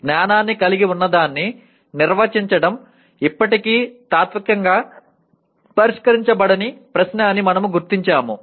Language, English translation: Telugu, We noted that defining what constitutes knowledge is still a unsettled question philosophically